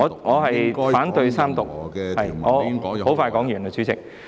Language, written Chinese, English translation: Cantonese, 我反對三讀，我很快說完，主席。, I oppose the Third Reading and I will finish my speech quickly President